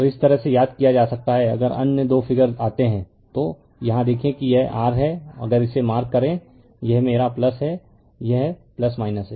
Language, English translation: Hindi, So, this way you can remember right similarly if you come to your other 2 figure, here if you look this is this is your if you mark this one this is my plus this is plus minus